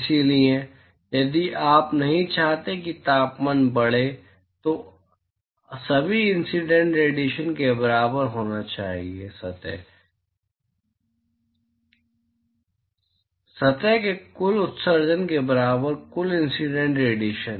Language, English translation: Hindi, So, if you do not want the temperature to increase then all incident radiation should be equal to; total incident radiation equal to total emission from the surface